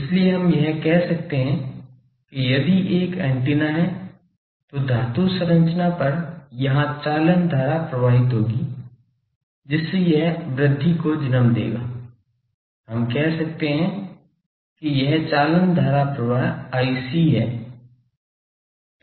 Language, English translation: Hindi, So, that we can say that if this the antenna then there will be the conduction current flowing here on the metallic structure, so that will gives rise to the, we can say this is the conduction current i c